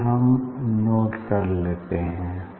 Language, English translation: Hindi, just we will note down this